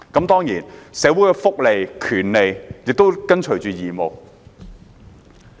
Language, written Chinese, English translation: Cantonese, 當然，社會的福利和權利亦伴隨着義務。, Certainly that is also the case for welfare benefits and rights in society